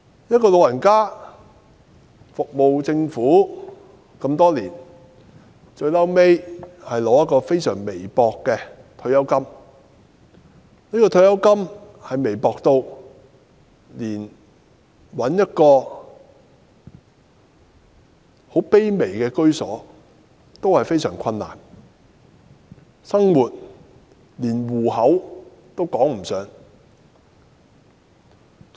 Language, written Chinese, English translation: Cantonese, 一位長者服務政府多年，最終只得到非常微薄的退休金，無法讓她找到一處很卑微的居所，生活方面就連糊口也談不上。, After serving the Government for years the elderly lady could only get paltry retirement benefits with which she cannot even afford a lowly and simple home or scrape a living